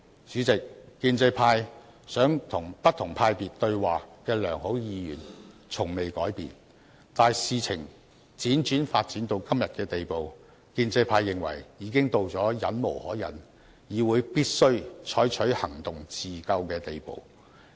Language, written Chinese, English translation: Cantonese, 主席，建制派想與不同派別議員對話的良好意願從未改變，但事情輾轉發展至今，我們認為已經到了忍無可忍、議會必須採取行動自救的地步。, President the pro - establishment camps good intention to enter into dialogue with Members from different factions has never changed . That said given the developments observed so far we are of the opinion that the situation has become so intolerable that the legislature must take action to rescue itself